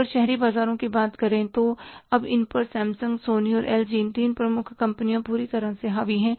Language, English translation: Hindi, If you talk about the urban markets, they are totally dominated by Samsung, Sony and LG, These three major companies